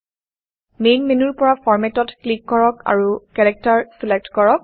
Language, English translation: Assamese, From the Main menu, click Format and select Character